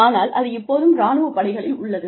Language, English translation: Tamil, But, it still exists in the armed forces